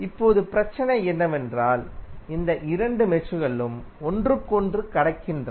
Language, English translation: Tamil, Now, the problem is that these two meshes are crossing each other